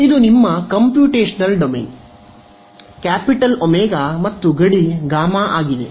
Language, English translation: Kannada, So, this is your computational domain, capital omega and the boundary is gamma right